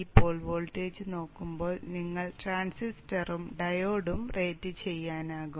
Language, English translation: Malayalam, So looking at this pole voltage you can rate the transistor and the time